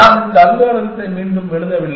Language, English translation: Tamil, I am not writing this algorithm again